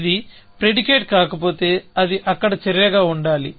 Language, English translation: Telugu, If it is not a predicate, it must be an action there